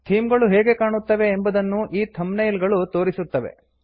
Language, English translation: Kannada, The thumbnails show you how the themes would appear